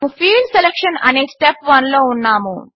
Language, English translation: Telugu, We are in step 1 which is Field Selection